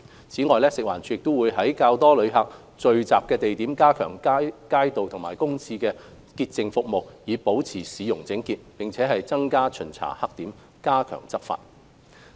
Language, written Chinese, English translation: Cantonese, 此外，食物環境衞生署會在較多旅客聚集的地點加強街道和公廁潔淨服務，以保持市容整潔，並增加巡查黑點，加強執法。, Moreover the Food and Environmental Hygiene Department will enhance the cleansing of streets and public toilets at popular gathering spots for visitors to keep the cityscape clean step up inspection at blackspots and strengthen law enforcement